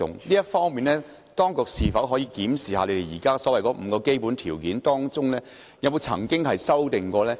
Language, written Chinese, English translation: Cantonese, 就這方面，當局能否檢視現時所謂的5個基本條件，以及曾否作出修訂？, In this connection can the authorities review the so - called five basic criteria and have they ever been amended?